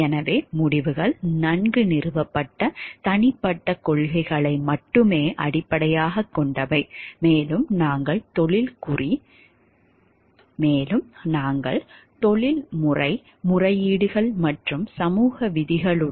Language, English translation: Tamil, So, decisions are based only on well established personal principles and we contradict with professional codes and even social rules